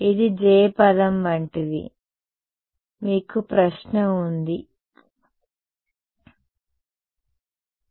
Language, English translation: Telugu, This is like the j term you have a question no yeah